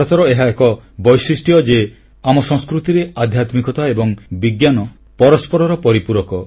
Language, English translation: Odia, This is India's unique beauty that spirituality and science complement each other in our culture